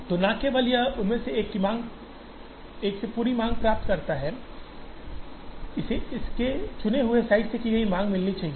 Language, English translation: Hindi, So, not only this gets the entire demand from one of them, this should get it is demand from a chosen site